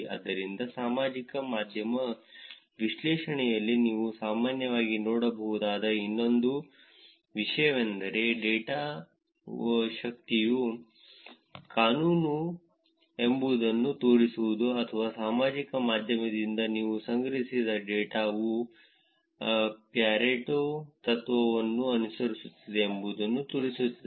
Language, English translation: Kannada, So, one other things that you would have generally seen in social media analysis is to show whether the data is a power law or show over that the data that you have collected from social media follows the pareto principle